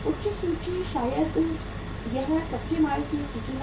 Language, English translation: Hindi, High inventory maybe it is a inventory of raw material